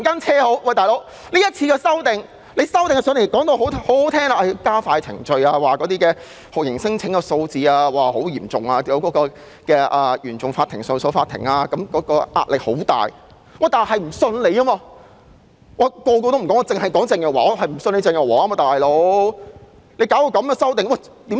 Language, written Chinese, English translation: Cantonese, 是次修訂的理由亦非常動聽，說要加快程序，因酷刑聲請數字極高，原訟法庭和上訴法庭面對極大壓力，但我們就是不相信她，我不管其他人怎樣，就是不相信鄭若驊。, The reasons given for introducing the proposed amendments in the current exercise are also very high - sounding . According to Teresa CHENG the process should be speeded up for handling the excessively large number of torture claims thereby easing the tremendous pressure on the Court of First Instance and the Court of Appeal but we simply cannot trust her . No matter what other people may think I do not consider Teresa CHENG trustworthy